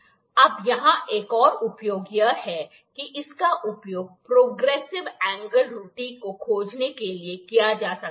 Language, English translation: Hindi, Now, another use here can be it can be used to find the progressive error progressive angle error